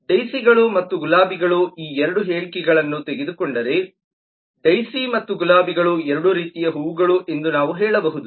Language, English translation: Kannada, we can say that daisies and roses if we just take these 2 statements, that daisy and roses are both kinds of flowers